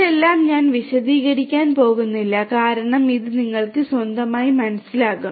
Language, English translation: Malayalam, I am not going to elaborate all of this because this is something that you will understand on your own